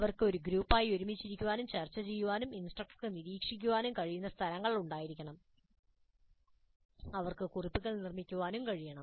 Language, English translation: Malayalam, There must be places where they can sit together as a group discussed and the instructor must be able to monitor they can make notes